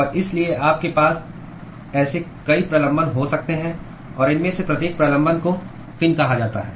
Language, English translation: Hindi, And so, you can have many such protrusions; and each of these protrusion is what is called as a fin